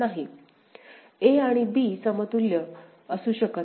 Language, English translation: Marathi, So, a and b is not possible to be equivalent ok